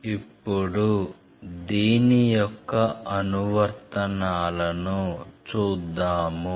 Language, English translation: Telugu, Let us see now the applications of this